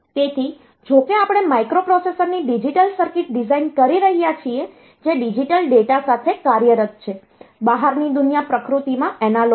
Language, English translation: Gujarati, So, though we are designing digital circuit of the microprocessors they are operating with digital data, the outside world is analogue in nature